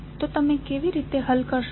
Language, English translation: Gujarati, So, how you will solve